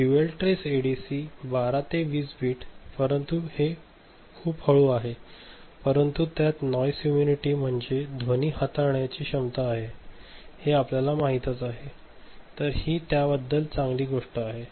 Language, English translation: Marathi, Dual trace 12 20 bits, but it is slower you can see, that is much slower, but it has the capacity of this noise immunity, I mean you know the handling the noise ok; so, that is the good thing about it